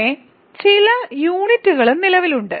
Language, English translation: Malayalam, But, maybe some other units also exist